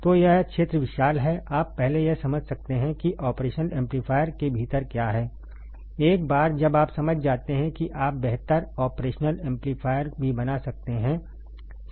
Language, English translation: Hindi, So, this field is vast, you can first you should understand what is within the operational amplifier, once you understand you can make better operational amplifier as well